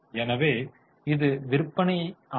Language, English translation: Tamil, So it is sales